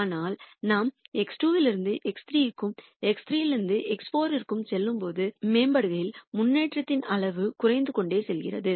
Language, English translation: Tamil, But when we go from X 2 to X 3 and X 3 to X 4, the improvement in the objective function, while the objective function is improving, the improvement amount of improvement keeps decreasing